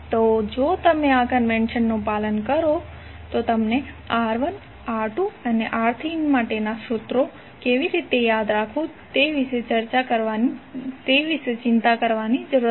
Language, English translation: Gujarati, So if you follow this convention, you need not to worry about how to memorize the formulas for R1, R2 and R3